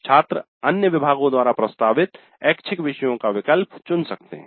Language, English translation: Hindi, Students can choose to offer electives offered by other departments